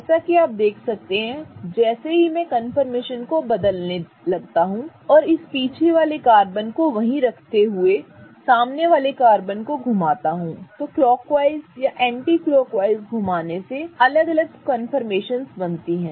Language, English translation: Hindi, As you can see, as I changed the confirmation, meaning as I changed the position and rotate this front carbon, keeping the back carbon the same, if I rotate it clockwise or anticlockwise, I give rise to various confirmations